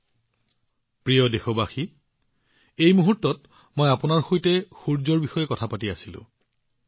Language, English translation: Assamese, My dear countrymen, just now I was talking to you about the sun